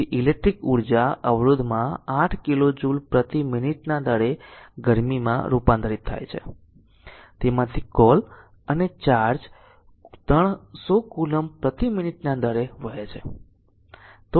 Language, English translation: Gujarati, So, electrical energy is converted to heat at the rate of 8 kilo joule per minute in a resister and charge flowing through it at the rate of 300 coulomb per minute